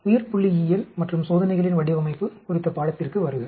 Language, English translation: Tamil, Welcome to the course on Biostatistics and Design of Experiments